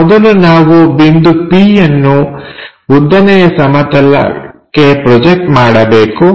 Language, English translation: Kannada, First, we have to project this point p to vertical plane